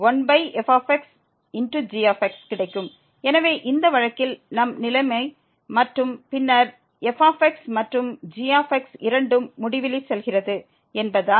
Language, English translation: Tamil, So, in this case we have the situation and then since and both goes to infinity